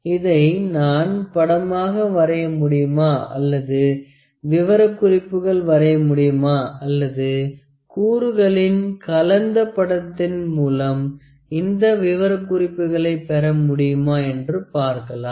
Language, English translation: Tamil, Could I draw drawing of this could I draw the specifications or could I get this specification in a mixed drawing of this component